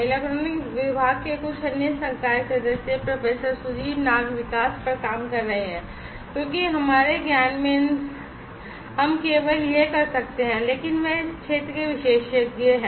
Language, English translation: Hindi, Some other faculty members from Electronic Department Professor Sudip Nag is working on the development because in our knowledge we could only do it, but he is expert in this field